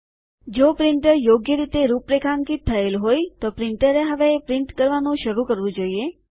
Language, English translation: Gujarati, If the printer is configured correctly, the printer should start printing now